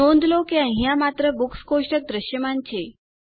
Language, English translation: Gujarati, Notice that Books is the only table visible here